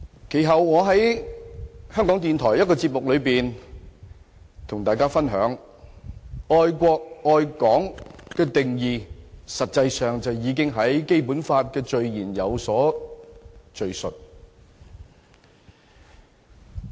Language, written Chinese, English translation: Cantonese, 其後，我在香港電台的一個節目中與大家分享，愛國愛港的定義其實已在《基本法》的序言有所敘述。, Subsequently I shared on air in a programme of the Radio Television of Hong Kong that the notion of love for both the country and Hong Kong has already been defined in the Basic Law